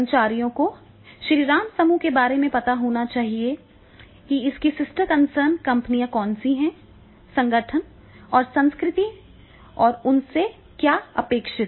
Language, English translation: Hindi, And then the employees were supposed to know about the Shiram group and the different other sister concerns and the culture of the organization and then what is expected from them